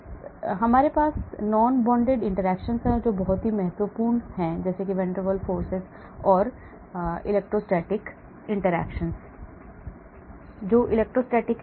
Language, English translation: Hindi, Then we have non bonded interactions and the important ones van der Waals and electrostatic, , what is electrostatic